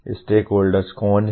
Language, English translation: Hindi, Who are the stakeholders